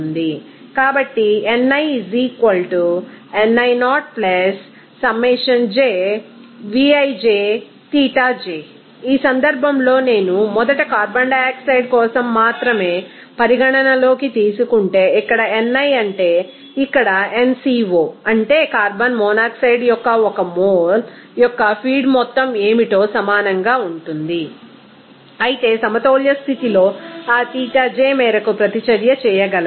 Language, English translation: Telugu, So, So, in this case, if I consider only for carbon monoxide first then here ni that means here nCO that will be equal to what that what to be the feed amount of carbon monoxide this 1 mole whereas at equilibrium condition that extent of reaction will be able to Xii